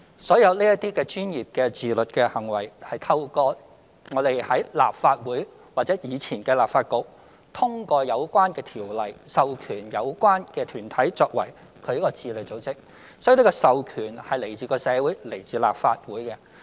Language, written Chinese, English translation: Cantonese, 所有這些專業的自律行為，是透過立法會或前立法局通過的相關條例，授權有關團體作為自律組織，所以這個授權是來自社會及立法會。, The self - discipline conduct of all professions is handled by the relevant self - regulatory organizations authorized by the relevant legislation passed by the Legislative Council or the former Legislative Council so the authority comes from society and the Legislative Council